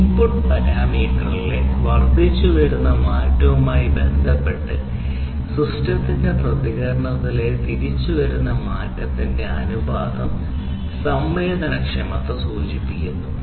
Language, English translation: Malayalam, Sensitivity, sensitivity indicates the ratio of incremental change in the response of the system with respect to the incremental change in the input parameter, right